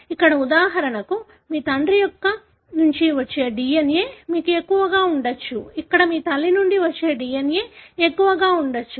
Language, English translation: Telugu, Here for example, you may have had more DNA that is coming from your father; here you may have more DNA that is coming from your mother and so on